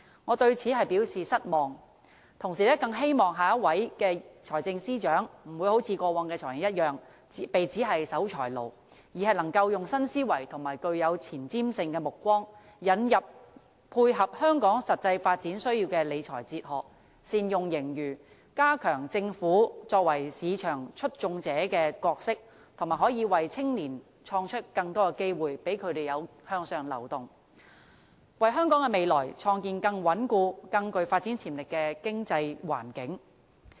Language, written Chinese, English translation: Cantonese, 我對此表示失望，同時更希望下一任財政司司長不會好像過去的"財爺"一樣，被指是守財奴，而是能夠以新思維和具有前瞻性的目光，引入配合香港實際發展需要的理財哲學，善用盈餘，加強政府作為市場促進者的角色，以及為青年創造更多的機會，讓他們可以向上流動，為香港的未來創建更穩固、更具發展潛力的經濟環境。, I do hope the next Financial Secretary will no longer be described as a miser as in the case of his or her predecessors but is able to think with a new mindset and see with foresight introduces a financial management philosophy appropriate to the practical development needs of Hong Kong makes good use of our surpluses and strengthens the role of the Government as a market facilitator and creates more opportunities for the young to move upward with a view to crafting a more stable and promising economic environment for the future of Hong Kong